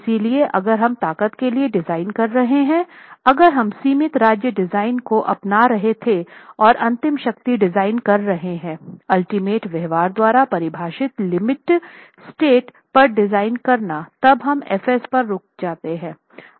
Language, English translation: Hindi, So if we were designing for strength, if we were adopting limit state design and doing ultimate strength design, designing at limit state defined by ultimate behavior, then we would have actually stopped at F